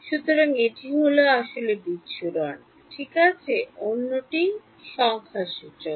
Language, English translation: Bengali, So, one is physical dispersion which is ok, the other is numerical